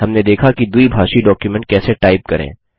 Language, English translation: Hindi, We have seen how to type a bilingual document